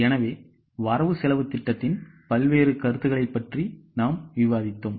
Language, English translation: Tamil, So, we have discussed various concepts of budgets